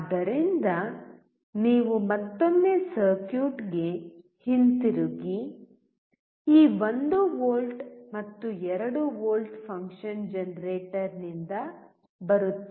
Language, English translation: Kannada, So, you come back to the circuit once again This 1 volt and 2 volt is coming from function generator